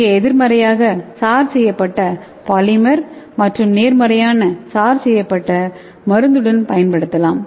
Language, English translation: Tamil, So here you can use that negatively charged polymer and positively charged drug